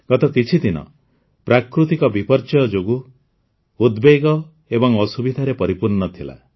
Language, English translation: Odia, The past few days have been full of anxiety and hardships on account of natural calamities